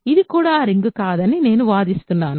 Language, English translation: Telugu, I claim this is also not a ring